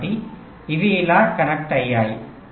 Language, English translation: Telugu, so they are connected like this